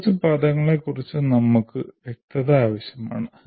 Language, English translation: Malayalam, Now we need to be clear about a few terms